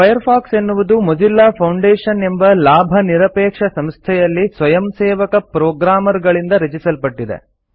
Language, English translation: Kannada, Firefox has been developed by volunteer programmers at the Mozilla Foundation, a non profit organization